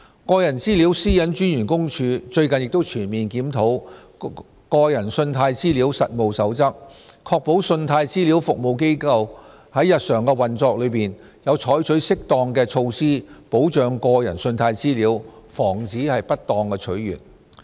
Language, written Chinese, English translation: Cantonese, 個人資料私隱專員公署最近亦全面檢討《個人信貸資料實務守則》，確保信貸資料服務機構在日常運作中有採取適當的措施保障個人信貸資料，防止不當取閱。, The Office of the Privacy Commissioner for Personal Data has recently comprehensively reviewed the Code of Practice on Consumer Credit Data to ensure that credit reference agencies shall take appropriate measures to protect personal credit data in their daily operations to safeguard against any improper access to personal credit data held by them